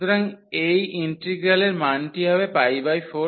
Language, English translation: Bengali, So, the value of this integral is pi by 4 into a